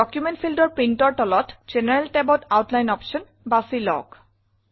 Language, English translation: Assamese, In the General tab, under Print, in the Document field, choose the Outline option